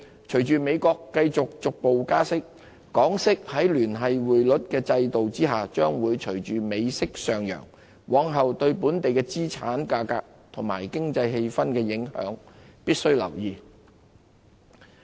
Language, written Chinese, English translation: Cantonese, 隨着美國繼續逐步加息，港息在聯繫匯率制度下將會隨美息上揚，往後對本地資產價格及經濟氣氛的影響，必須留意。, As the United States continues to raise the interest rate gradually the interest rates of Hong Kong under the linked exchange rate system will follow the interest rates of the United States and move higher . We must pay attention to how that will influence the asset prices and economic sentiment in Hong Kong